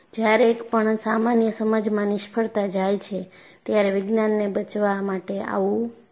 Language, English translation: Gujarati, See, whenever the so called commonsense fails, science has to come to your rescue